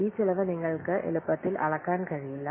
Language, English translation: Malayalam, You cannot easily measure these costs